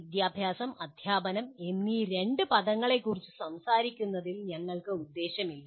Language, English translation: Malayalam, That is not our intention in talking about these two words education and teaching